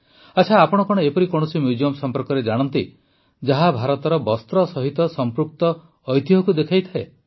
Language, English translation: Odia, Ok,do you know of any museum that celebrates India's textile heritage